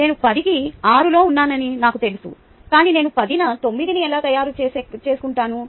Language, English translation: Telugu, i know that i am six on ten, but how do i make myself nine on ten